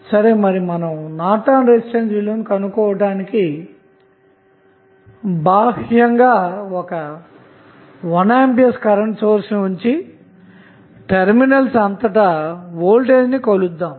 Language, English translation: Telugu, So, to find out the value of Norton's resistance, we just placed 1 ampere source externally and measure the voltage across terminal